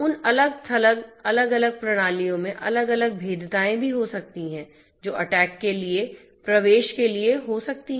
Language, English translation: Hindi, Those individual isolated systems might also have different vulnerabilities which might be points for entry for the attackers